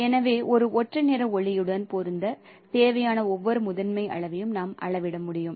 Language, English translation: Tamil, And so we can measure the amount of each primary needed to match a monochromatic light